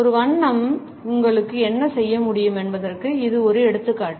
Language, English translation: Tamil, This is just one example of what one color can do for you